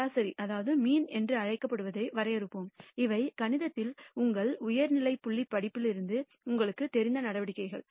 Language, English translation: Tamil, And let us define what is called the mean, these are measures that you are familiar with from your high school courses in mathematics